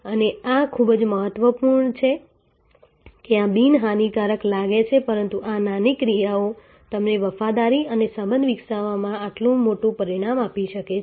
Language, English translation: Gujarati, And these are very important this may appear to be innocuous, but these small actions can give you this big result in developing loyalty and relationship